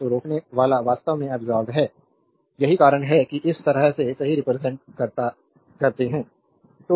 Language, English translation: Hindi, So, resistor actually absorbed power that is why this way you represent right